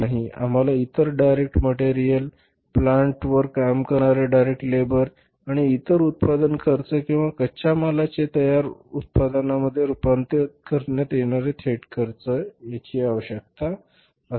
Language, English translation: Marathi, We either require direct material, direct labour working on the plant and then the direct expenses which are incurred while manufacturing the product or converting the raw material into the finished products